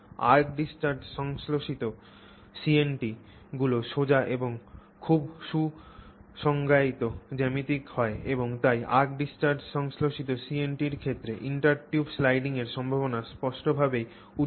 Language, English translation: Bengali, ARC discharged synthesized CNTs tend to be straight, very well defined geometry and therefore the possibility of intertube sliding seems to be distinctly available in the case of arc discharged CNTs